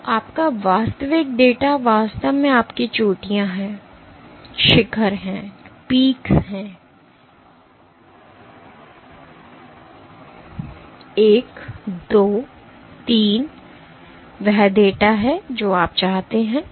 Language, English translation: Hindi, So, your real data is really your peaks; 1, 2, 3 is the data that you want